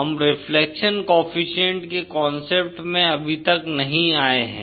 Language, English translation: Hindi, We have not come across the concept of reflection coefficient yet